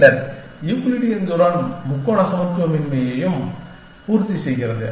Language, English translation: Tamil, Then, Euclidean distance also satisfies triangle inequality